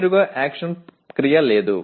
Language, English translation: Telugu, Straightaway there is no action verb